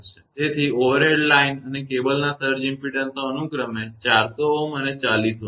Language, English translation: Gujarati, So, surge impedances of the overhead line and cable are 400 ohm and 40 ohm respectively